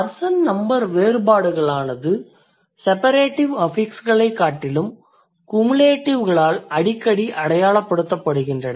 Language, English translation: Tamil, So, the person number differences are frequently signaled by cumulative rather than separative affixes